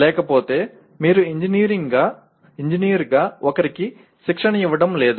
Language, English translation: Telugu, If you do not, you are not training somebody as an engineer